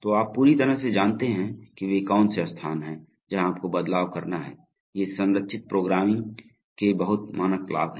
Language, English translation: Hindi, So you absolutely know that which are the places where you have to make change, these are the very standard benefits of structured programming